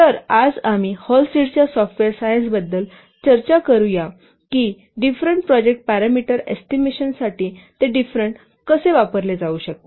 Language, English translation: Marathi, So, today we will discuss about the Hullstead software science, how it can be used for different for the estimation of different project parameters